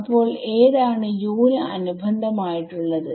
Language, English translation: Malayalam, So, that is corresponding to U which one